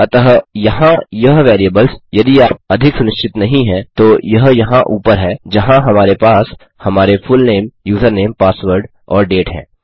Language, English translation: Hindi, So these variables here, if you are not so sure, are up from here, where we have our fullname, username, password and date